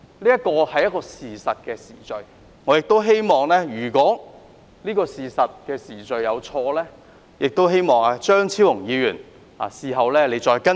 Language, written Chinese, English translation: Cantonese, 這是確實的時序，我希望如果這時序有錯，張超雄議員事後可以再更正。, That is the actual chronological order of the events and I hope that Dr Fernando CHEUNG will correct me later on if I make any mistakes